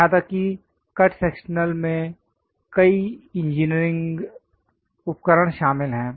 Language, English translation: Hindi, Even the cut sectional consists of many engineering equipment